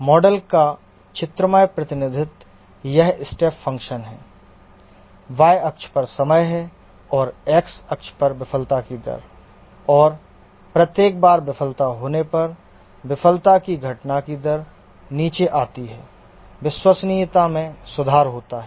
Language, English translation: Hindi, Step function, the rate of the failure on the y axis and time on the x axis, and each time there is a failure, the rate of occurrence of failure comes down, reliability improves